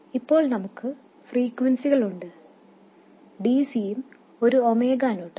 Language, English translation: Malayalam, So, we have two frequencies, DC and omega0